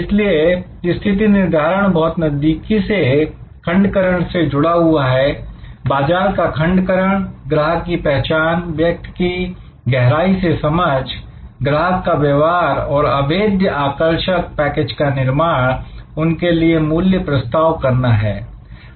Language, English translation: Hindi, So, that is why positioning is very closely allied to segmentation, market segmentation, customer identification, deeply understanding the persona, the behaviour of customers and creating an unassailable attractive package of value propositions for them